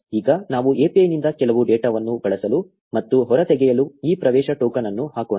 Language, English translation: Kannada, Now let us put this access token to use and extract some data from the API